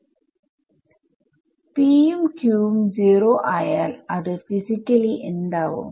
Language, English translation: Malayalam, when both p and q are 0 what is it physically